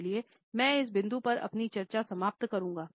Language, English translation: Hindi, So, I would end my discussion at this point